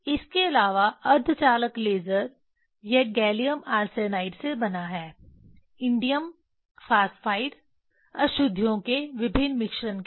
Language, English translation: Hindi, Also semiconductor laser it is made of gallium arsenide, indium phosphide with various mixtures of impurities